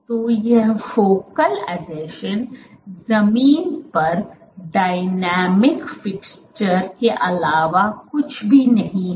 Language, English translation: Hindi, So, these focal adhesions are nothing, but dynamic fixtures to the ground